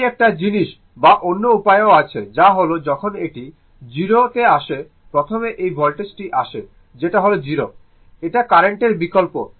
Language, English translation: Bengali, This is one thing or other way that which one is coming to the 0 first the voltage is coming to that your what you call the 0 0 first compare to the current, right